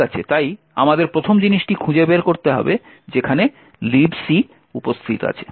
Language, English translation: Bengali, Okay, so the first thing we need to do is find where libc is present